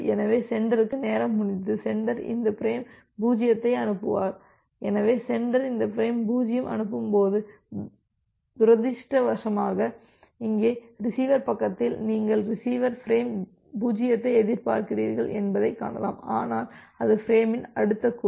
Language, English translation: Tamil, So, sender will get a timeout and sender will send this frame 0 so, when the sender is sending this frame 0 unfortunately here in the receiver side you can see the receiver is also expecting frame 0, but that is the next group of frame